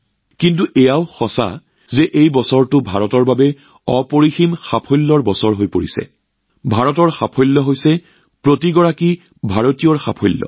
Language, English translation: Assamese, But it is also true that this year has been a year of immense achievements for India, and India's achievements are the achievements of every Indian